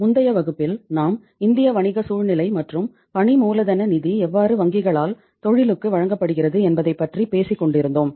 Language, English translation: Tamil, So in the previous class we were talking about the Indian business scenario and how the working capital finance is provided by the banks to the industry